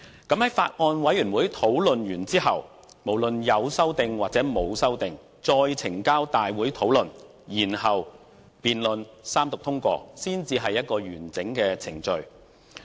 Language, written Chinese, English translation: Cantonese, 在法案委員會內完成討論後，無論有沒有修訂，再呈交大會討論，然後辯論和三讀通過，這才是完整的程序。, It would make the whole procedure complete to subject the Bill with or without amendments to discussion in the Bills Committee before presenting it to the whole Council for discussion followed by debates and passage after Third Reading